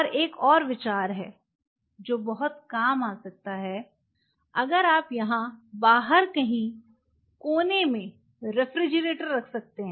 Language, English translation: Hindi, And there is one more think which could come very handy if you can please refrigerator somewhere out here in the corner